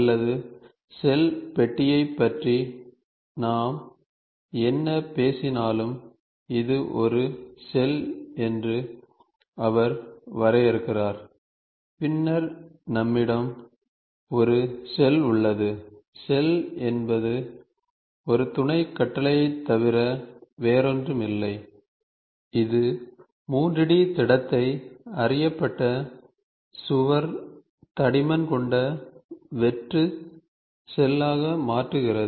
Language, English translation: Tamil, Or he draws this is the shell whatever we talk about shell box then we have a hollow then we have a shell, shell is nothing but a sub command that converts a 3 D solid into a hollow shell with a wall thickness of a known wall thickness